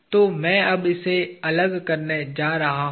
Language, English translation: Hindi, So, I am going to now separate that